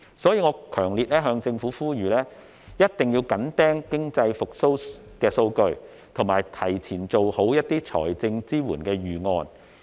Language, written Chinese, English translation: Cantonese, 所以，我強烈向政府呼籲，一定要緊盯經濟復蘇的數據，提前做好財政支援的預案。, For this reason I strongly urge the Government to closely monitor the data on economic recovery and formulate financial assistance plans in advance